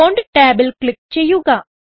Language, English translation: Malayalam, Click on Font tab